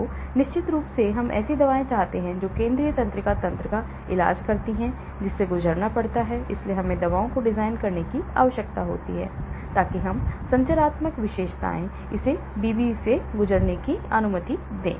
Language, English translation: Hindi, So, of course we want drugs that treat the central nervous system to pass through, so we need to design drugs, so that the structural features allow it to pass through the BBB